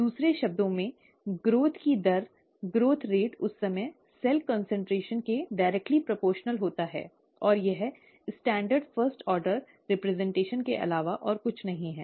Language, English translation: Hindi, The, in other words, the rate of growth, growth rate is directly proportional to the cell concentration at that time, and this is nothing but the standard first order representation